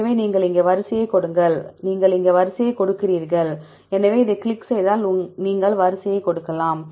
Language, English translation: Tamil, So, if you give the sequence here you give the sequence here, so if you click on this, then you can give the sequence